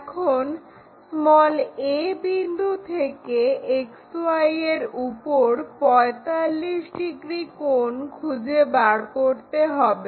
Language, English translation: Bengali, Now, 45 degrees inclination we have to find it on XY from point a